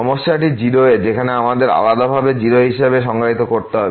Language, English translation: Bengali, The problem is at 0 where we have to defined separately as 0